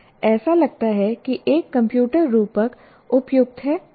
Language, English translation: Hindi, It looked like a computer metaphor is an appropriate